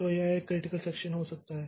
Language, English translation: Hindi, So, this may be a critical section